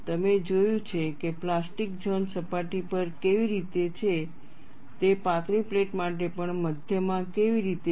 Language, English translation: Gujarati, You had seen how the plastic zone was on the surface, how it was there in the middle, even for a thin plate